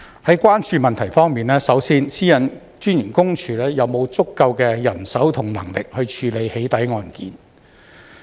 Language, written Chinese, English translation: Cantonese, 在關注問題方面，首先，私隱公署有沒有足夠人手和能力處理"起底"案件。, The first concern is whether PCPD has sufficient manpower and capacity to handle doxxing cases